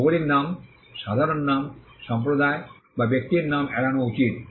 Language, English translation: Bengali, Geographical names, common surnames, names of community or persons should be avoided